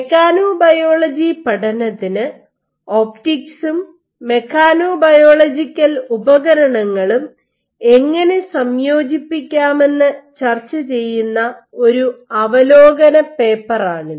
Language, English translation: Malayalam, So, this is a review paper which discusses how you can combine optics and mechanobiological tools for probing mechanobiology